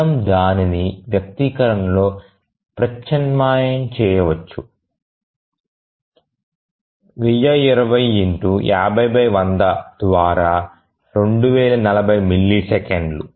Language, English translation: Telugu, So, you can just substitute that in an expression, 1020 by 50 by 100 which is 2,040 milliseconds